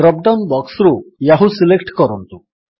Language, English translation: Odia, Select Yahoo from the drop down box